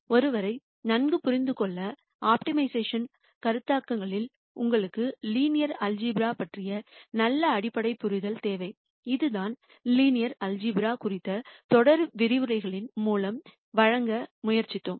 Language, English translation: Tamil, And quite a bit of the optimization concepts for one to understand quite well you need a good fundamental understanding of linear algebra which is what we have tried to deliver through the series of lectures on linear algebra